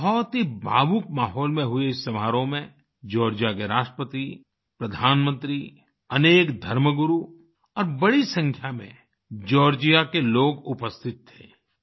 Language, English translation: Hindi, The ceremony, which took place in a very emotionally charged atmosphere, was attended by the President of Georgia, the Prime Minister, many religious leaders, and a large number of Georgians